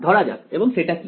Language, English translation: Bengali, Let us this and what is the